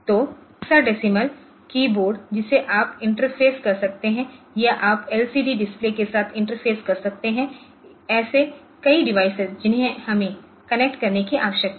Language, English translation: Hindi, So, the hexadecimal keyboard you can interface or you can have interfacing with say LCD displays ok, so like that so, a number of devices that we need to connect ok